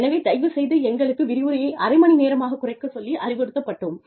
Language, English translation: Tamil, So, you please cut short your lectures, to half an hour